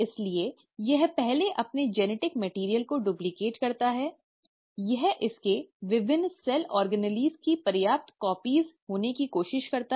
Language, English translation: Hindi, So it first duplicates its genetic material, it also tries to have sufficient copies of its various cell organelles